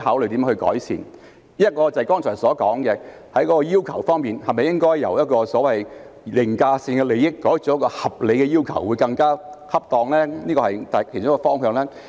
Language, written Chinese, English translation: Cantonese, 第一是我剛才提到的，在要求方面，是否由所謂的凌駕性利益改為合理的要求更為恰當呢？, First as I said just now concerning the requirements is it more appropriate to replace the so - called overriding interest by reasonable requirement?